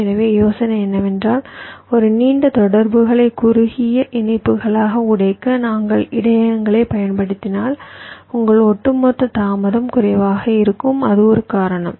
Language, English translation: Tamil, so the idea is that if we use buffers to break a long interconnection into shorter interconnections, your overall delay will be less